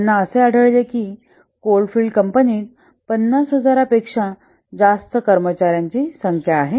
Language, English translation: Marathi, They find that the coal field limited has a number of employees exceeding 50,000